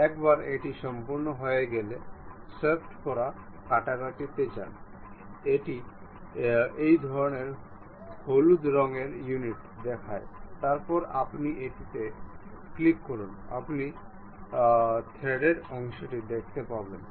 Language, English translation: Bengali, Once it is done go to swept cut it shows this kind of yellowish tint, then click ok, then you see the threaded portion